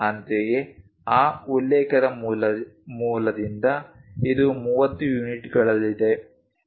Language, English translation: Kannada, Similarly, from that reference base this one is at 30 units